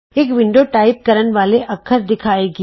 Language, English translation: Punjabi, A window that displays the characters to type appears